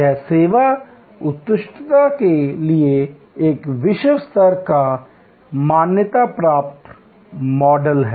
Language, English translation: Hindi, It is a globally recognized model for service excellence